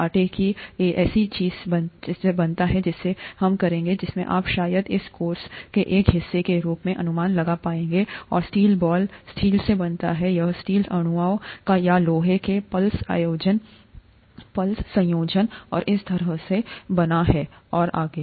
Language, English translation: Hindi, Dough is made up of something which we will, which you will probably be able to guess as a part of this course and steel ball is made up of steel, it is made up of steel molecules or iron plus other combination and so on and so forth